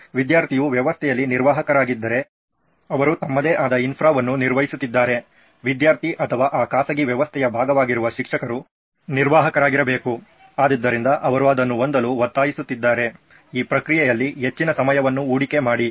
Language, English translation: Kannada, If the student is a administrator in the system like if they are maintaining their own infra, the student or the teacher who is part of that private system should be an administrator, so which is demanding them to have, invest more time into this process